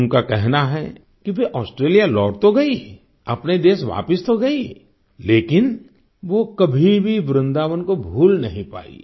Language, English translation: Hindi, She says that though she returned to Australia…came back to her own country…but she could never forget Vrindavan